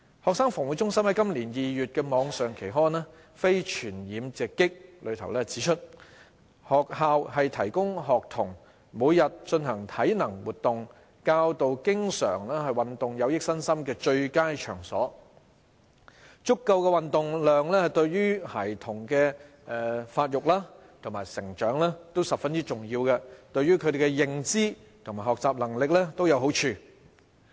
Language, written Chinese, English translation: Cantonese, 衞生防護中心在今年2月的網上期刊《非傳染病直擊》指出，學校是提供學童每天進行體能活動、教導經常運動有益身心的最佳場所；足夠的運動量對孩童的發育和成長均十分重要，對於他們的認知和學習能力也有好處。, In its Non - communicable Diseases Watch issued online in February 2018 CHP points out that schools are the best place to provide daily physical activities for students and teach them the benefits of doing frequent exercise . A sufficient level of physical activities is not only vital for childrens physical growth and development but also for their cognition and learning